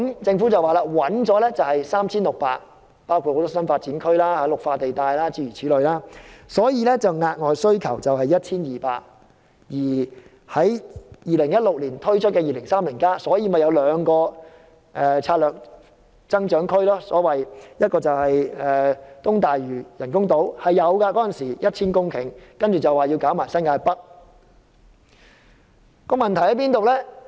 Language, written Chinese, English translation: Cantonese, 政府說已找到 3,600 公頃土地，包括多個新發展區和綠化地帶等，所以額外需要 1,200 公頃土地，而在2016年推出的《香港 2030+》報告，便提出兩個策略增長區，一個是東大嶼人工島，當時估計是要 1,000 公頃土地，之後再說要包括新界北。, According to the Government 3 600 hectares have been identified which included new development areas and green belts . Hence 1 200 hectares of additional land should be created . The Hong Kong 2030 released in 2016 proposed two strategic growth areas namely the East Lantau artificial islands to provide about 1 000 hectares of land as estimated and New Territories North